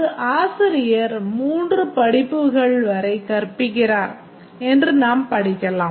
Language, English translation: Tamil, A teacher teaches up to three courses